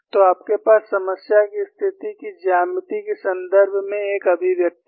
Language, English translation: Hindi, So, you have an expression, in terms of the geometry of the problem situation